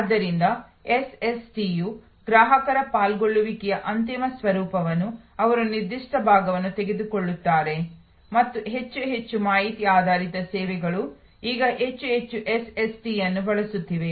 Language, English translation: Kannada, So, SST's are to summarize ultimate form of customer involvement they take specific part and more and more information based services are now using more and more of SST